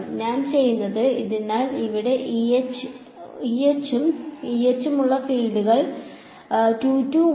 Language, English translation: Malayalam, What I do is; so, here fields where E H and E H 22 11